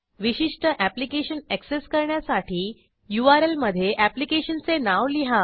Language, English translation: Marathi, To access a particular application type that application name in the URL